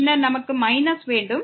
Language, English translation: Tamil, So, this is just power minus